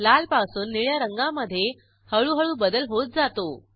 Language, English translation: Marathi, There is gradual change in the color from red to blue